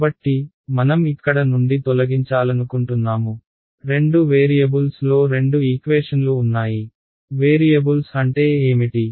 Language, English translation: Telugu, So, lets say I want to eliminate from here there are two equations in two variables right what are the variables